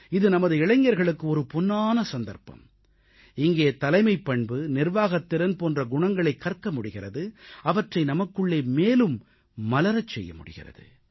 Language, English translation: Tamil, This is an excellent chance for our youth wherein they can learn qualities of leadership and organization and inculcate these in themselves